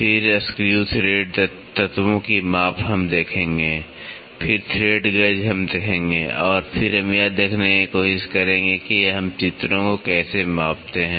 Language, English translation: Hindi, Then, measurement of screw thread elements we will see then thread gauges we will see and then we will try to see how do we measure pictures